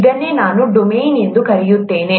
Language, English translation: Kannada, This is what I call as domain